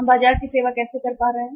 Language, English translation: Hindi, How we are able to serve the market